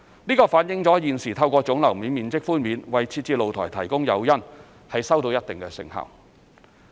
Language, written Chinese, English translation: Cantonese, 這反映了現時透過總樓面面積寬免為設置露台提供誘因，收到一定成效。, It reflects that the current incentive for provision of balconies through granting GFA concessions is to a certain extent effective